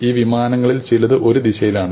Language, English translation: Malayalam, Now, some of these flights are in one direction